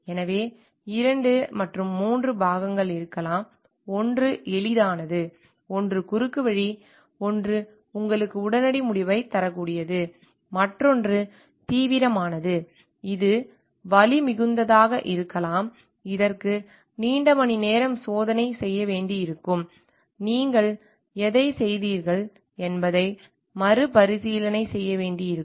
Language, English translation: Tamil, So, there could be 2 3 parts; one which is easy, one which is short cut, one which you may give you immediate result, another one which is serious, which may painful, which may require long hours of testing, which may require revisiting whatever you have done time in again to find out, whether things are working properly or not